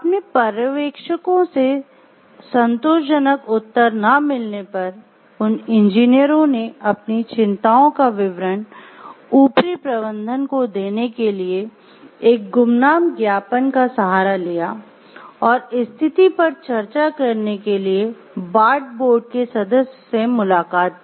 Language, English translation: Hindi, Unable to get satisfactory response from their immediate supervisors, the engineers resorted to an anonymous memo to upper management detailing their concerns, and even met with a Bart board member to discuss the situation